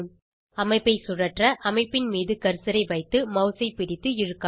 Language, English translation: Tamil, To rotate the structure, place the cursor on the structure, hold and drag the mouse